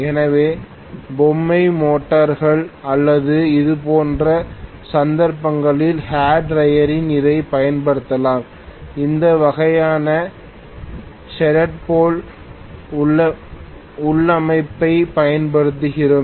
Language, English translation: Tamil, So toy motors or we may use this normally in hair dryer in those cases, we may be using this kind of shaded pole configuration